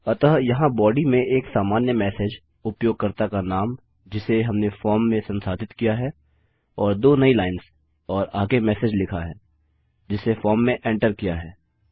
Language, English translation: Hindi, So our body consists of a generic message here, the users name that we have processed in the form and then two new lines and next we have entered the message that has been entered in our form here